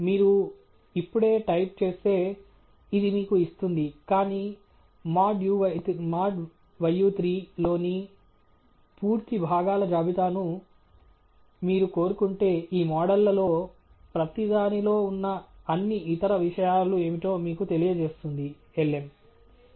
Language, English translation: Telugu, If you just type, this is what it would give you, but if you want the full list of components in mod uy 3, attributes will tell you what are all the other things that are contained in each of these models that are returned by lm